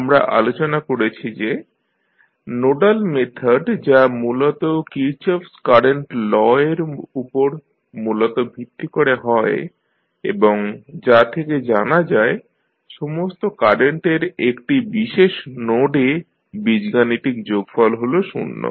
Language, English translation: Bengali, We discussed that the nodal method that is basically based on Kirchhoff’s current law and says that the algebraic sum of all currents entering a particular node is zero